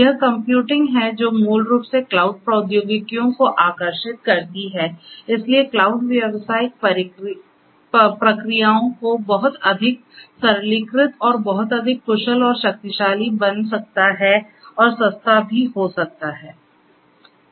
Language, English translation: Hindi, It is this computing that you know that basically attracts the cloud technologies, so where cloud can make the business processes much more simplified and much more efficient and powerful and also cheaper